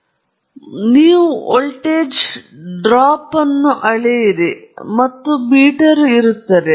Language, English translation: Kannada, So, you measure the voltage drop here and you have a meter here